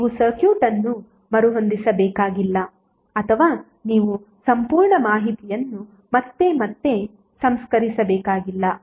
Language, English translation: Kannada, So you need not to rearrange the circuit or you need not to reprocess the complete information again and again